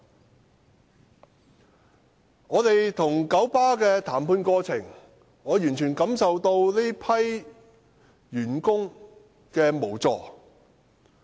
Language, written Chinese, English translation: Cantonese, 在我們與九巴的談判過程中，我完全感受到這批員工的無助。, During the course of our negotiation with KMB I could fully feel the helplessness of this group of employees